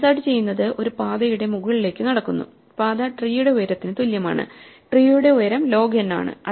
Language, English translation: Malayalam, Therefore, insert walks up a path, the path is equal to the height of the tree, and the height of the tree is order of log n